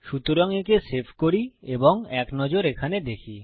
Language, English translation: Bengali, So, lets save that and have a look in here